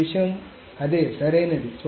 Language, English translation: Telugu, So the same thing